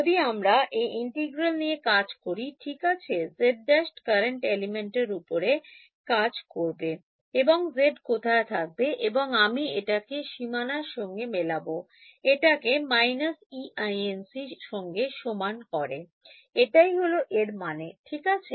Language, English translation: Bengali, If I carry out this integral; right, z prime runs over the current element and z is where it is and I am matching it on the boundary by equating it to minus E incident that is the meaning of this right